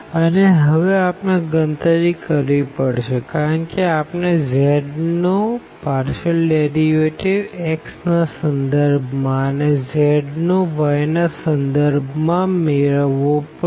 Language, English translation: Gujarati, And, now we need to compute because in the formula we need the partial derivative of z with respect to x and also the partial derivative of z with respect to y